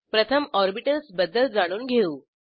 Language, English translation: Marathi, Let us first learn about orbitals